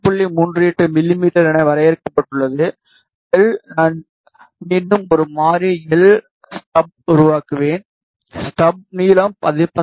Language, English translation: Tamil, 38 mm; l I will again create a variable l stub, the stub length is frozen to 19